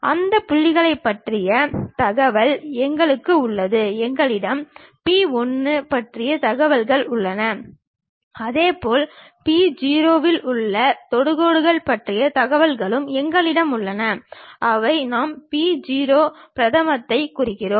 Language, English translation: Tamil, We have information about that point, we have information about p 1 and similarly we have information about the tangent at p0, which we are representing p0 prime